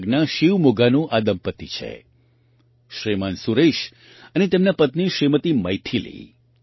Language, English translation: Gujarati, This is a couple from Shivamogga in Karnataka Shriman Suresh and his wife Shrimati Maithili